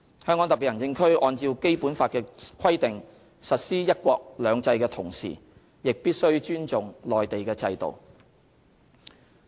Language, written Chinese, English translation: Cantonese, 香港特別行政區按照《基本法》的規定實施"一國兩制"的同時，亦必須尊重內地的制度。, While HKSAR implements one country two systems in accordance with the provisions in the Basic Law HKSAR must also respect the system in the Mainland